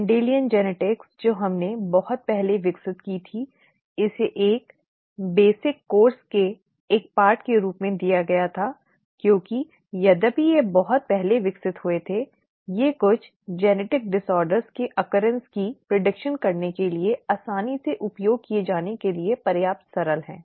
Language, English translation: Hindi, The Mendelian genetics that we had developed a long time ago, it was given as a part of of a basic course because although they were developed a long time ago, they are simple enough to be easily used to predict the occurrence of certain genetic disorders